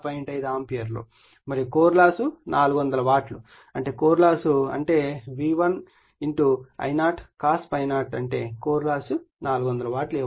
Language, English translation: Telugu, 5 ampere and the core loss is 400 watt that is core loss is given that is V1 your I0 cos ∅0 that is your core loss 400 watt is given